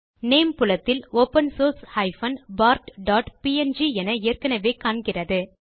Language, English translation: Tamil, In the Name field, open source bart.png is already displayed